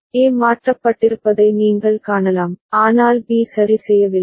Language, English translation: Tamil, You can see A has toggled but B has not toggled ok